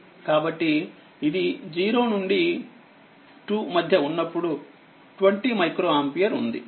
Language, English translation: Telugu, So, this is your 0 to 2 that is your 20 micro ampere